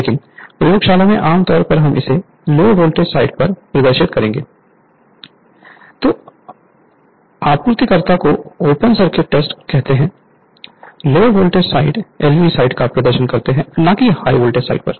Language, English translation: Hindi, But in the laboratory right that generally we will perform that this one on LV side your what you call the supplier that youryour open circuit test, you perform on the LV side andnot on the high voltage side right